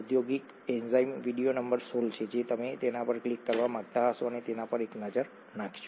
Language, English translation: Gujarati, The industrial enzyme is video number 16, you might want to click on that and take a look at that